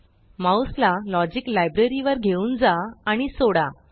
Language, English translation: Marathi, Move the mouse to the Logic library and release the mouse